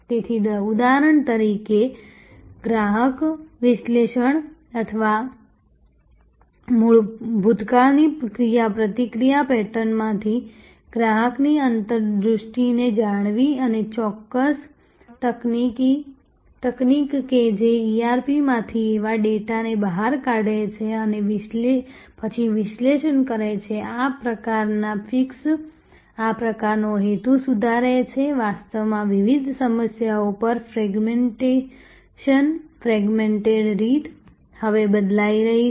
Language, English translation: Gujarati, So, say for example, customer analytics or knowing developing customer insight from the interaction pattern of the past and the particular technology that extracted such data from the ERP and then analyzed, this kind of fixes, this kind of purpose fixes that actually what fragmentation, fragmented way on different problems are now changing